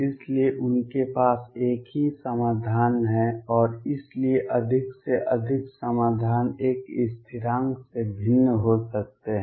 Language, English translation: Hindi, So, they have the same solution and therefore, at most the solutions could differ by a constant